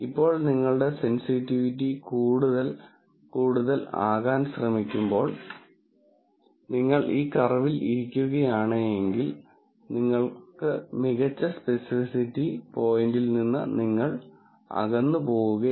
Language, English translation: Malayalam, Now, as you try to push your sensitivity to be more and more, then if you are sitting on this curve, you are going away from the best specificity point